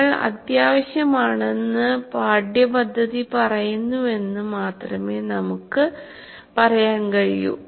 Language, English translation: Malayalam, You can only say the curriculum says it is important for you